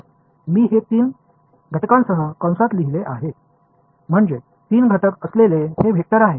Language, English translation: Marathi, So, I have written it in brackets with three component; that means, that it is a vector with three components